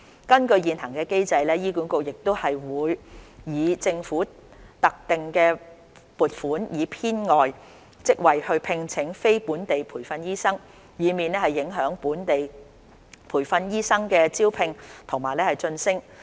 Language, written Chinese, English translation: Cantonese, 根據現行機制，醫管局會以政府的特定撥款以編外職位聘請非本地培訓醫生，以免影響本地培訓醫生的招聘及晉升。, Under the existing mechanism HA will create supernumerary posts with the Governments dedicated funding allocation for employing NLTDs so that recruitment and promotion of locally trained doctors will not be affected